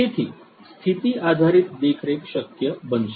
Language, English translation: Gujarati, So, condition based monitoring is going to be possible